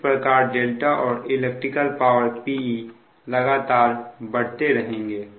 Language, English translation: Hindi, hence delta and electrical power p will continue to increase